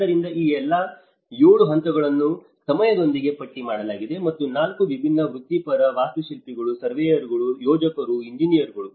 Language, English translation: Kannada, So, this is how all these 7 phases have been listed out by time and then 4 different professionals, architects, surveyors, planners, engineers